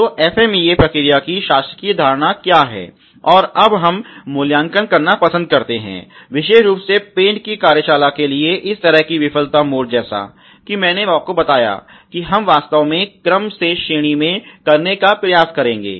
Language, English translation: Hindi, So, that the governing philosophy of the FMEA process, and we like to now evaluate such difficult the failure mode for particularly the paint shop as I told you where we will actually try to rank in order